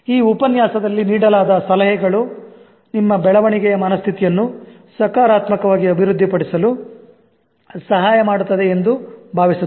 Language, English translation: Kannada, Hopefully, the tips given in this lecture will help you to positively develop your growth mindset